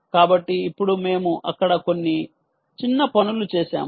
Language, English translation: Telugu, so now, we did a little bit few things as well there